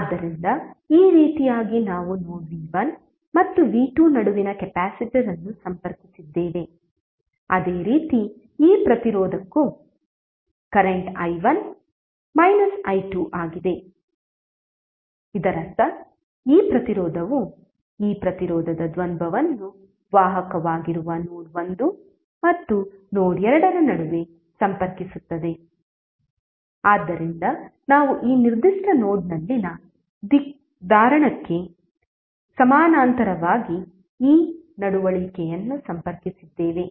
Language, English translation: Kannada, So in this way we have connected node the capacitor between node v1 and v2, similarly for this resistance also the current is i1 minus i2 that means that this resistance the dual of this resistance that is conductance would also be connected between node 1 and node 2, so we have connected this conductance in parallel with capacitance in this particular node